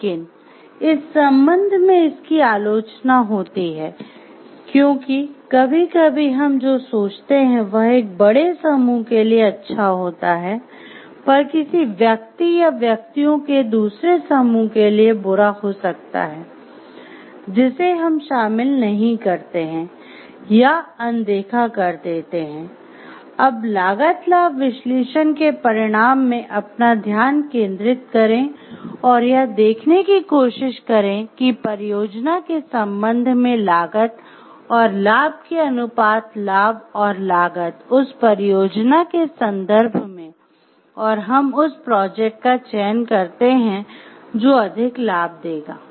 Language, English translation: Hindi, But some it is it has criticism in this regard because sometimes the what we think to be a good for a larger group may be some bad for an individual or a another group of individual whom we don't may include see or we tend to ignore and in cost benefit analysis also your focus with the outcome and try to see what is the cost and benefit ratio benefits and cost with respect to the project and we choose the project which is more benefit